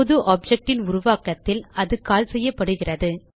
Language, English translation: Tamil, It is called at the creation of new object